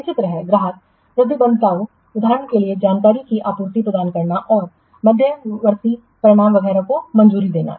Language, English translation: Hindi, Similarly, customer commitments, for example, providing access, supplying information and approving the intermediate results, etc